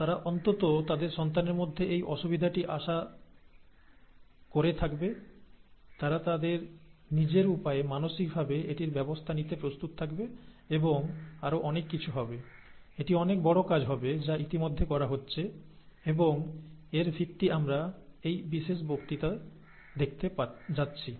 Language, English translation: Bengali, They will be atleast expecting this difficulty in their child, they would be mentally prepared to handle it and so on and so forth in , in their own ways, and that would be, that is a big thing, that is already being done, and that is a very big thing and the basis for that is what we are going to see in this particular lecture